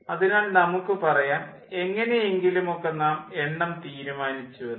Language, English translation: Malayalam, so lets say somehow we have decided the number